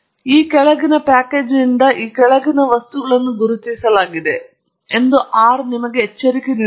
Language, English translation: Kannada, And R gives you a warning that the following objects are now marked from this package and so on